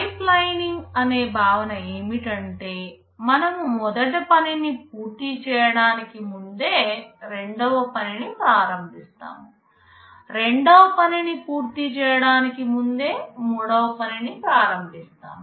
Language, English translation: Telugu, In pipelining the concept is that even before you finish the first task, we start with the second task, even before we finish the second task we start the third task